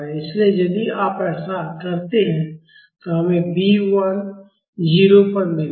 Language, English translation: Hindi, So, if you do that, we would get B 1 is equal to 0